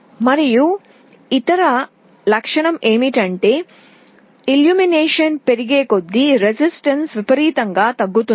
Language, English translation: Telugu, And the other property is that as the illumination increases the resistance decreases exponentially